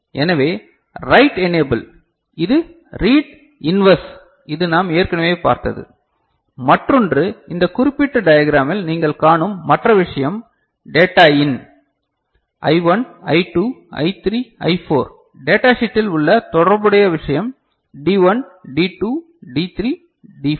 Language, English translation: Tamil, So, write enable, write enable it is there which is inverse of read that we have already seen, the other thing that you see the data in I1, I2, I3, I4 in this particular diagram the corresponding thing in the datasheet is D1, D2, D3 D4